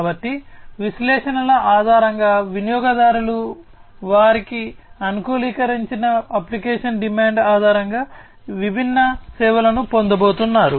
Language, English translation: Telugu, So, based on the analytics, the customers based on their customized application demand are going to get all these different services